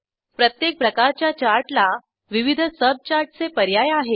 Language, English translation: Marathi, Each type of Chart has various subchart options